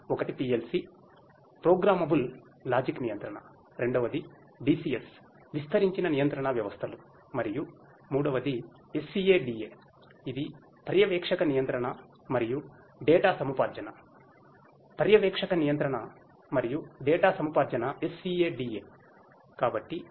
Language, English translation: Telugu, One is the one is the PLC, the Programmable Logic Controller; second is the DCS, the Distributed Control Systems and the third is the SCADA which stands for Supervisory Control and Data Acquisition; Supervisory Control and Data Acquisition, SCADA